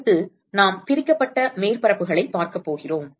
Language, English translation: Tamil, Next we are going to look at divided surfaces